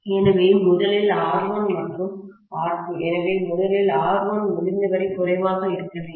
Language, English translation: Tamil, Okay, so first of all R1 and R2 dash should be as low as possible